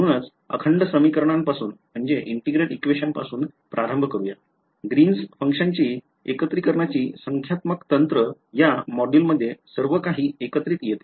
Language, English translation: Marathi, So, starting with integral equations, Green’s functions numerical techniques of integration, everything comes together in this module alright